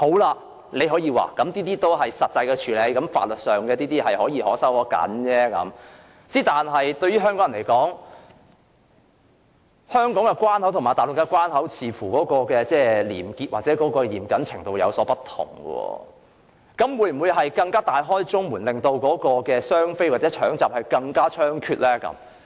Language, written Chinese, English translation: Cantonese, 你大可說這涉及實際的處理，在法律上可鬆可緊，但對香港人來說，香港關口和內地關口的廉潔或嚴謹程度有所不同，那麼會否出現更加大開中門，"雙非孕婦"衝急症室分娩的行為更加猖獗的情況？, You may argue that it involves the actual handling of such cases which can be dealt with in a legally lenient or stringent approach but Hong Kong people have the impression that different degrees of corruption - free and strict practices are adopted at boundary control points of Hong Kong and the Mainland . Hence will our door be even more wide open and the problem of gate - crashing hospital emergency wards by doubly non - permanent resident pregnant women to give birth in Hong Kong will run even more rampant?